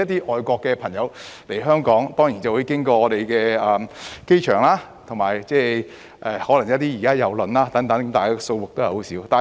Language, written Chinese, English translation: Cantonese, 外國的朋友來港當然會經香港的機場，亦有可能是乘坐郵輪，但相關數字仍十分少。, Foreign people coming to Hong Kong may enter via our airport or may come by cruise vessels but the relevant figure is still insignificant